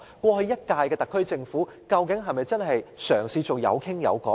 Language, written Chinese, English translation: Cantonese, 過去一屆的特區政府是否真的嘗試做到有商有量？, Did the Government of the previous term really try to negotiate with us?